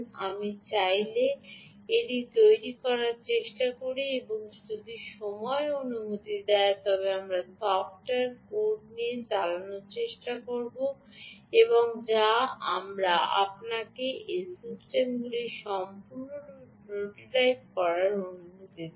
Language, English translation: Bengali, ah, i try to build this if you wish and if time permits, we will also try to run through the software code which we will allow you to prototype ah, this system completely